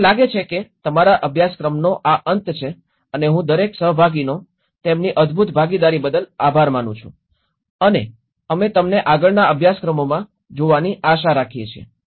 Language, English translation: Gujarati, I think thatís end of our course and I thank each and every participant for their wonderful participation and we hope to see you in further courses